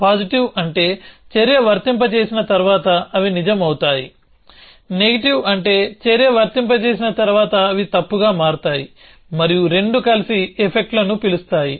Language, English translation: Telugu, Positive means they become true after the action is applied, negative means that they become false after the action is applied and the two of them together call effects